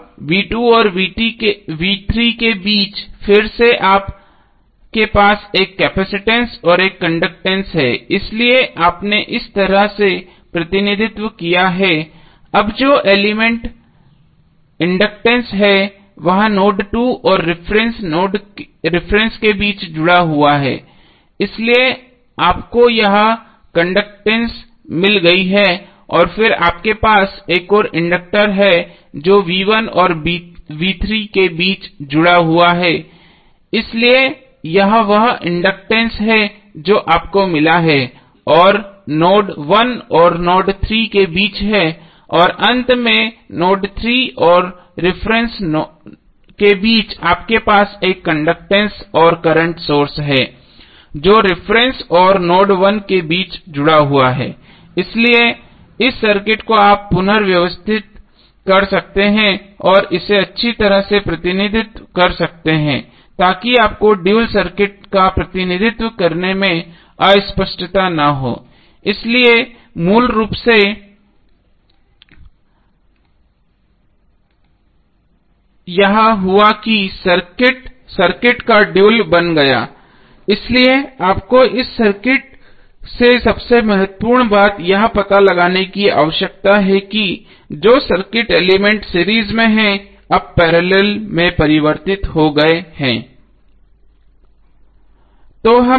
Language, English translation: Hindi, Now between v2 and v3 again you have one capacitance and one conductance so you have represented in this way, now the element which is inductance is connected between node 2 and reference, so you have got this conductance and then you have another inductor which is connected between v1 and v3, so this is the inductance which you have got which is between node 1 and node 3 and finally between node 3 and reference you have one conductance and the current source which is connected between reference and node 1, so this circuit you can rearrange and represent it nicely so that you do not have ambiguity in representing the dual circuit, so basically what happen that this circuit has become the dual of the circuit so the important thing you need to figure out from this circuit is that most of the circuit elements which are in series are now converted into parallel